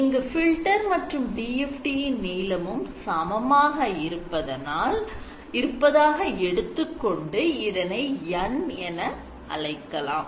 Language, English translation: Tamil, If you constraint the length of the filter to be equal to the size of the DFT then it becomes N